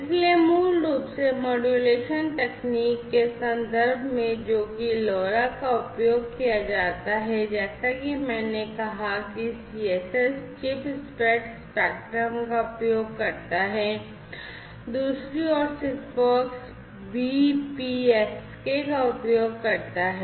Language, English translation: Hindi, So, basically in terms of modulation technique that is used LoRa as I said uses CSS chirp spread spectrum on the other hand SIGFOX uses BPSK